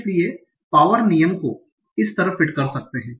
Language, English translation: Hindi, So this power law can be fit it